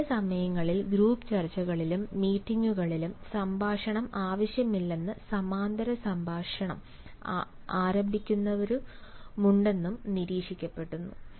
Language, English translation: Malayalam, it has also been observed that during group discussions at times and in meetings there are the people who start a parallel conversation